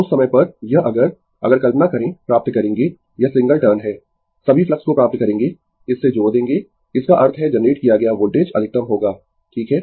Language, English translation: Hindi, At that time, this if you if you imagine, you will find it is a single turn, you will find all the flux will link to this; that means, voltage generated will be maximum, right